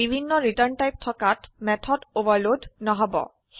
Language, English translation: Assamese, Having different return types will not overload the method